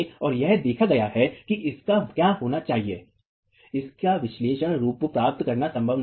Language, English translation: Hindi, And it's observed that it is not possible to get an analytical form of what B should be